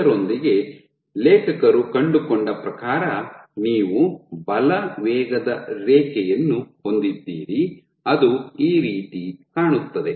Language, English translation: Kannada, So, with this what the authors found was you had a force velocity curve, which looks something like this